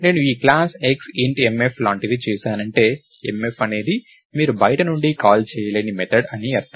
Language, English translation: Telugu, So, if I did something like this class X int mf, it means that mf is a method that you cannot call from outside